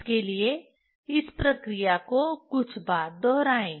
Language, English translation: Hindi, Repeat the operation few times for this